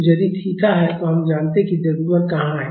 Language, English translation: Hindi, So, if the theta is not we know where the mass is